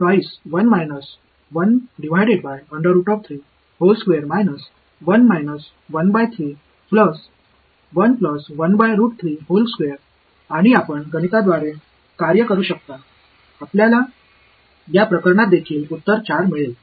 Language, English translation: Marathi, And, you can work through the math you will get an answer 4 in this case also